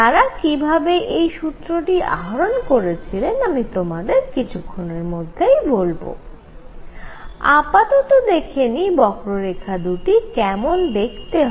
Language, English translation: Bengali, How they got this formula, I will tell you in a few minutes, but let us see the two curves how do they look